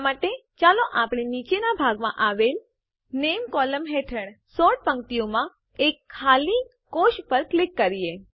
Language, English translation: Gujarati, For this, let us click on the empty cell in the Sort row under the Name column in the bottom section